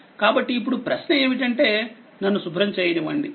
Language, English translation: Telugu, So, question is now that let me clear it